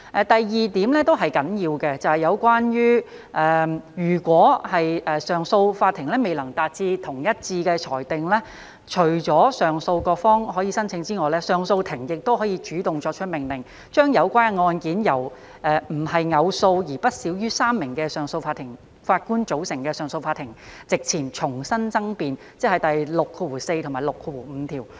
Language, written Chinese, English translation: Cantonese, 第二點也是很重要的，便是有關如果上訴法庭未能作出一致的裁定，除了上訴各方可以申請外，上訴法庭亦可主動作出命令，將有關的案件由非偶數，並且不少於3名的上訴法庭法官組成的上訴法庭席前重新爭辯，即第64和65條。, The second point is also very important and that is when such a bench of the CA cannot reach a unanimous decision in addition to a party being allowed to apply to re - argue the case before an uneven number of Justices of Appeal not less than three the Court may also make such an order on its own motion